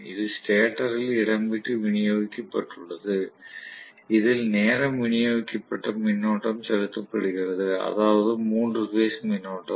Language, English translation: Tamil, That are space distributed in the stator, which are being injected with time distributed current, three phase current